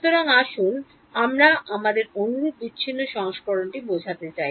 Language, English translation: Bengali, So, let us I mean the same discrete version right which we had